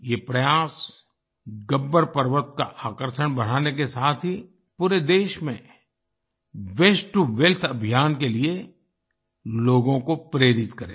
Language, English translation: Hindi, This endeavour, along with enhancing the attraction value of Gabbar Parvat, will also inspire people for the 'Waste to Wealth' campaign across the country